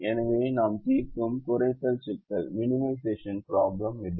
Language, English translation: Tamil, so this is how you solve a minimization problem